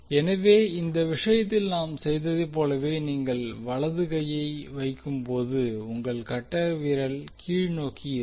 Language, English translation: Tamil, So when you place the right hand in the similar way as we did in this case your thumb will be in the downward direction